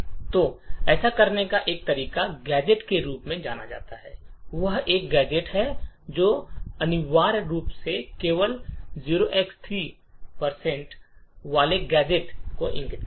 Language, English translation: Hindi, So one way to do this is by introducing another gadget known as the gadget return which essentially points to a gadget containing just 0xc3